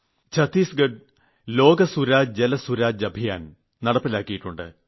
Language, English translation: Malayalam, Chhattisgarh has started the 'LokSuraj, JalSuraj' campaign